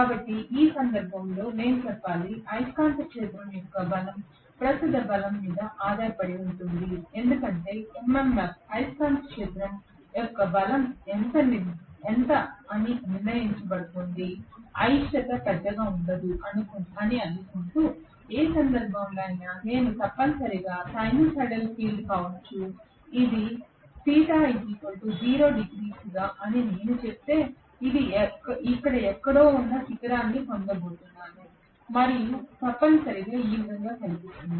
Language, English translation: Telugu, So in which case I should say the strength of the magnetic field depends up on what is the strength of the current because MMF is going to decide how much is the strength of the magnetic field, assuming that the reluctance does not change much okay, so in which case I am going to have essentially may be a sinusoidal field in such a way that if I say that this is theta equals to 0 degree, I am going to get probably the peak located somewhere here and then it is going essentially to look like this